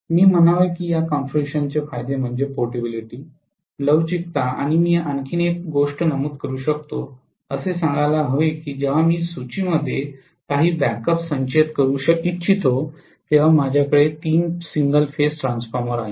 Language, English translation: Marathi, I should say advantages of this configuration are portability, flexibility and one more thing I might mention is let us say I have three single phase transformer when I want to store some backup in the inventory